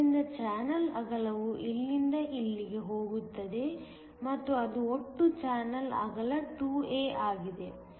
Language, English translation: Kannada, So, the channel width goes from here to here and that is a to the total channel width is 2 a